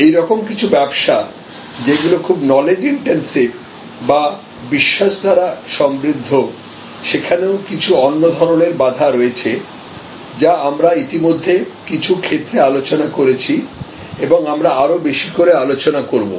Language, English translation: Bengali, We have certain knowledge intensive or credence rich services, where we have certain other types of barriers, which we have already discussed in some cases and we will discuss more and more